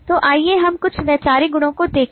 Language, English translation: Hindi, so let us look at some of the conceptual properties